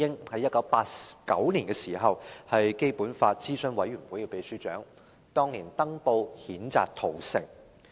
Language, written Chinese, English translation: Cantonese, 在1989年，他是基本法諮詢委員會的秘書長，當年曾登報譴責屠城。, In 1989 he was the secretary - general of the Basic Law Consultative Committee and he once published a statement in newspapers to condemn the massacre